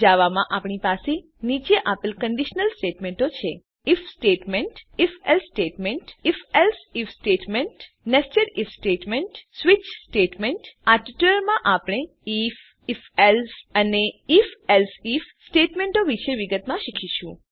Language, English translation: Gujarati, In Java we have the following conditional statements: * If statement#160 * If...Else statement#160 * If...Else if statement#160 * Nested If statement * Switch statement In this tutorial, we will learn about If, If...Else and If...Else If statements in detail